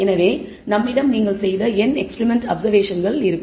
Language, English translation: Tamil, So, there are n experimental observations you have made